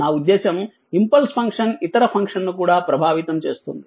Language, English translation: Telugu, I mean it affects the that impulse function affects the other function also